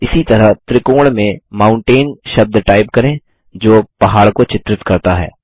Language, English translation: Hindi, Similarly, lets type the word Mountain in the triangle that depicts the mountain